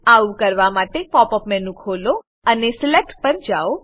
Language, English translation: Gujarati, To do this, open the Pop up menu and go to Select